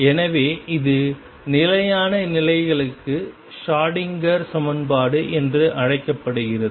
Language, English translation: Tamil, So, this is known as the Schrödinger equation, for stationary states